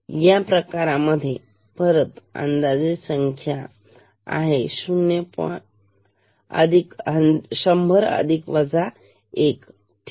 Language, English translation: Marathi, In this case again expected count is around 100, but actual count will be 100 plus minus 1 ok